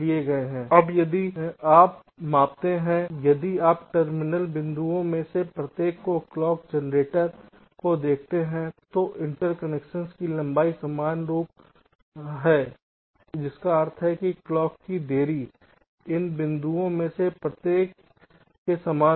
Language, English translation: Hindi, now if you just measure, if you just see from the clock generated up to each of the terminal point, the length of the interconnection is the same, which means the delay of the clocks will be identical up to each of this points